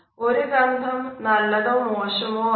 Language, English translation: Malayalam, A smell can be positive as well as a negative one